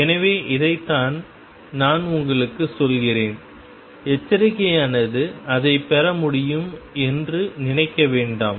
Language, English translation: Tamil, So, this is what I am telling you and the caution is do not think that it can be derived